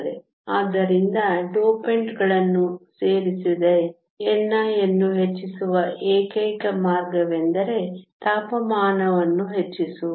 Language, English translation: Kannada, So, the only way to increase n i without adding dopants is to increase temperature